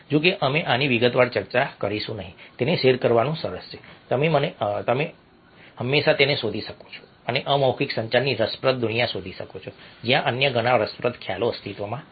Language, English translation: Gujarati, although we will not discuss this detail, it's nice to share it and you can always look it up and exp find out the fascinating the world of nonverbal communication, where so many other is interesting concepts, a exist